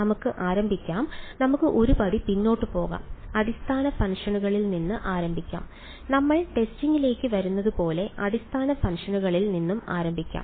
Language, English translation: Malayalam, Let us start let us take one step back let us start with the basis functions we will come to testing like, say let us start with the basis functions